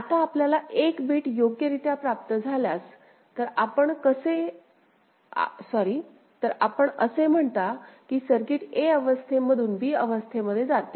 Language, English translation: Marathi, Now if you receive 1 bit correctly, so you say the circuit moves from state a to state b